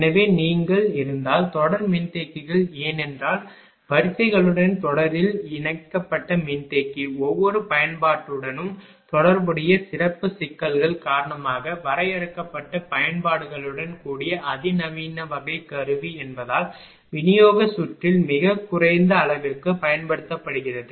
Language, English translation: Tamil, So, if you if if you that is why series capacitors; that is capacitor connected in series with lines have been used to a very limited extent on distribution circuit due to being a more sophisticated type of apparatus with a limited range of applications also, because of the special problems associated with each ah each application